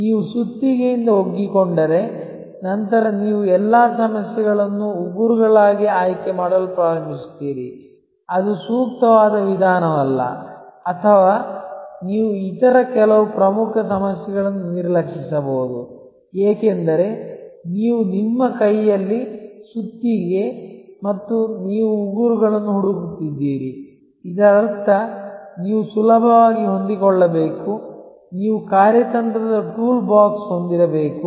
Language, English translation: Kannada, If you get used to a hammer, then you will start choosing all problems as nails, which may not be at all the appropriate approach or you might neglect some other very important problems, because you have the hammer in your hand and you are looking for nails, which means that you must remain flexible, you must have a strategic toolbox